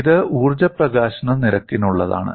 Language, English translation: Malayalam, This is for energy release rate